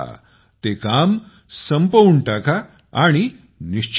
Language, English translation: Marathi, Finish your work and be at ease